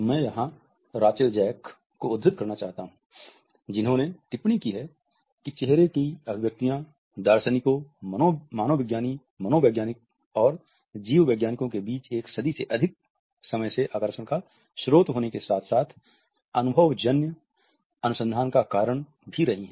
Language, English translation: Hindi, I would like to quote Rachael Jack here, who has commented that “facial expressions have been the source of fascination as well as empirical investigation amongst philosophers, anthropologist, psychologist and biologist for over a century”